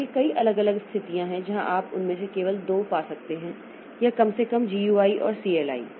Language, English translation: Hindi, So, so there are many different situation where you can find only two of them or the, at least the GUI and CLI, so they are mostly there